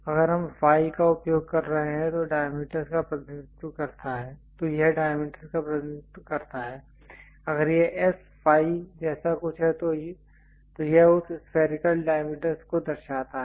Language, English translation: Hindi, If we are using phi it represents diameter, if it is something like S phi its indicates that spherical diameter